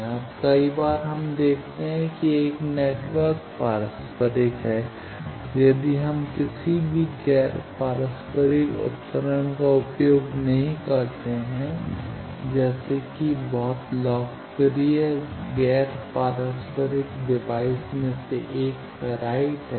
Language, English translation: Hindi, Now, various times we see that a network is reciprocal then if we do not use any non reciprocal device, 1 of the very popular non reciprocal device is ferrite